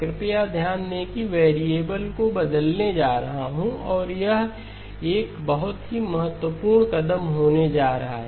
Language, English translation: Hindi, Please note I am going to change the variable and this is going to be a very, very important step